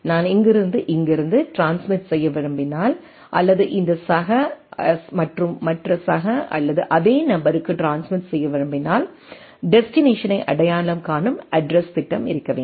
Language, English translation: Tamil, If I want to transmit from here to here or this fellow transmitting to other fellow or same fellow there should be addressing scheme to identify the identify the destination